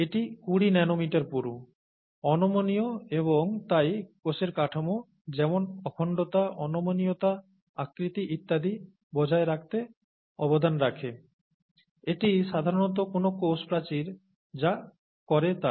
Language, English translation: Bengali, This twenty nanometers thick, is rigid and therefore contributes to maintain the cell structure such as integrity, rigidity, shape and so on and so forth, that is typically what a cell wall does